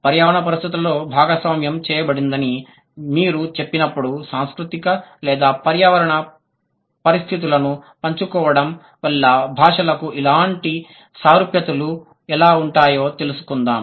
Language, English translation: Telugu, So, when you say shared in environmental conditions, then let's find out how the languages they can have similarities in the, like because of the sharing cultural or environmental conditions that they have